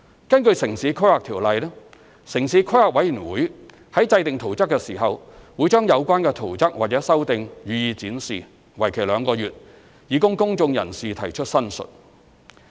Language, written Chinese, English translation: Cantonese, 根據《城市規劃條例》，城市規劃委員會在制訂圖則時，會將有關圖則或修訂予以展示，為期兩個月，以供公眾人士提出申述。, Under the Town Planning Ordinance in the process of plan - making the Town Planning Board TPB will exhibit the relevant plans or amendments for two months for public representations